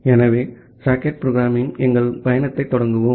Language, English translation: Tamil, So, let us start our journey in the socket programming